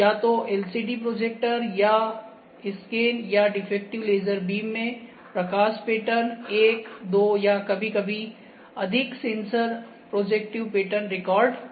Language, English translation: Hindi, Either in LCD projector or scanned or defective laser beams projects the light pattern one or two or a sometimes more sensors record the projective pattern